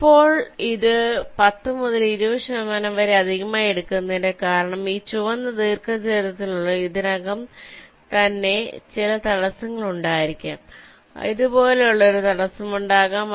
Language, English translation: Malayalam, the reason you are taking this ten to twenty percent extra is that, see, within this red rectangle there might be some obstacles already existing, like there may be an obstacle like this, so you may have to find out a path around the obstacle like this